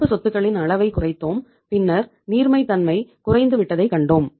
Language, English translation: Tamil, Then we reduced the level of current assets then we saw that liquidity has gone down